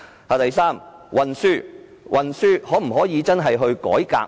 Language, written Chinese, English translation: Cantonese, 第三，在運輸方面可否進行改革？, Third can transport arrangements be revamped?